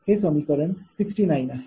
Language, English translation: Marathi, this is equation sixty seven